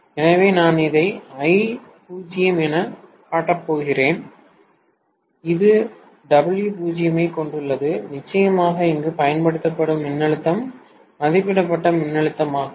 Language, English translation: Tamil, So, I am going to show this as I0 and this has W0 and of course the voltage applied here is rated voltage